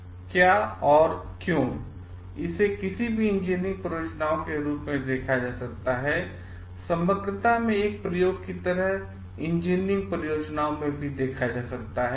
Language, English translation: Hindi, What stand the why it can be considered any engineering projects can be viewed as an experiment in totality is like or in engineering projects also